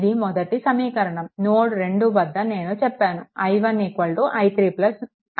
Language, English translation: Telugu, This is equation 1 at node 2 also I told you i 1 is equal to i 3 plus I 4